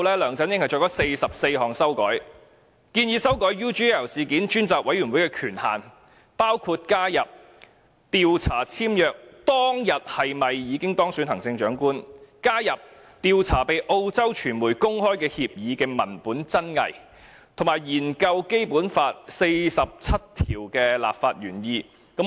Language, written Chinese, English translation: Cantonese, 梁振英作出44項修改，建議專責委員會的權限，包括加入調查簽約當天是否已經當選行政長官、調查被澳洲傳媒公開的協議文本真偽，以及研究《基本法》第四十七條的立法原意。, LEUNG Chun - ying made 44 amendments making recommendations on the authority of the Select Committee such as adding whether he was elected the Chief Executive on the date of signing the agreement looking into the authenticity of the copy of agreement disclosed by the Australian media and studying the legislative intent of Article 47 of the Basic Law